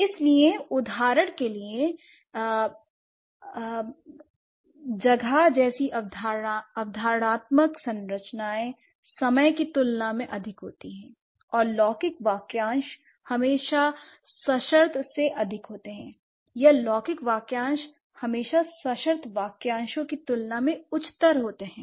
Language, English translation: Hindi, So, for example, across conceptualized structures like space is always higher than time and temporal phrases are always higher than the conditional, or the temporal phrases are always hierarchically higher than the conditional phrases